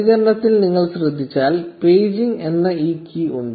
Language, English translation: Malayalam, So, if you notice in the response, there is this key called paging